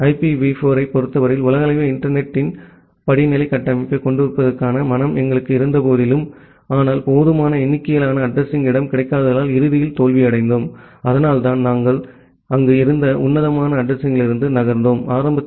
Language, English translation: Tamil, In case of IPv4 we have seen that although we had the mind of having a hierarchical structure of the global internet, but ultimately we failed because of the unavailability of sufficient number address space and that is why we moved from the classful addressing which were there in initially